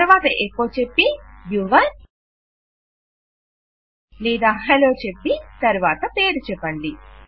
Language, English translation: Telugu, Then just say echo and Your or just Hello and then name